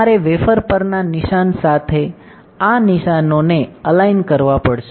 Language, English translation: Gujarati, You have to align these marks, with the marks on the wafer